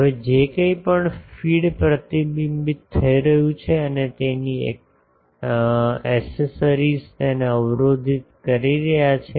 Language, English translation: Gujarati, Now whatever is being reflected the feed and its accessories are blocking that